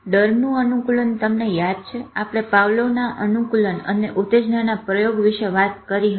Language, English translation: Gujarati, Fear conditioning, you remember we talked about the Pavlovian experiment where condition stimuli